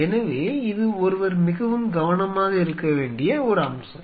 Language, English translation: Tamil, So, this is something which one has to be very careful this is one aspect